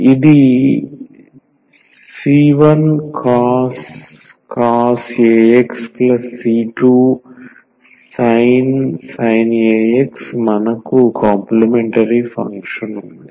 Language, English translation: Telugu, So, this is c 1 cos a x plus c 2 sin a x we have the complementary function